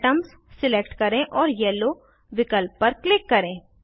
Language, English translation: Hindi, Then select Atoms and click on Yellow options